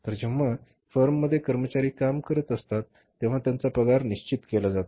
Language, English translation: Marathi, So, then employees working in the firm, his salary is fixed